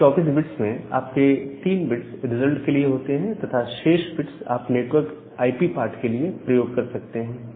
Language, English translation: Hindi, So, whenever you have 3 bits result, the remaining bits you can use for the network IP part